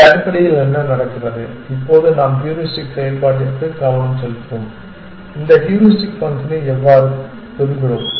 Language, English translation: Tamil, This is basically what is happening essentially, now let us pay attention to the heuristic function itself how we get this heuristic function